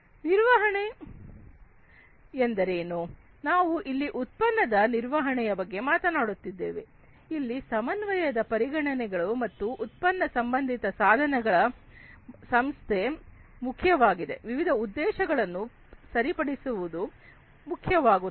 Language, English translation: Kannada, Management, we are talking about product management over here, where, you know, the considerations of coordination and institution of product related devices are important it is required to fix different objectives